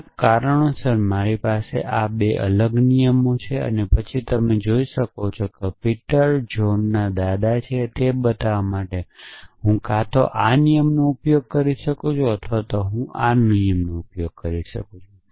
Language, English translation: Gujarati, For some reasons I have these 2 separate rule, then you can see that to show that Peter is a grandfather of John I could either use this rule or I could use this rule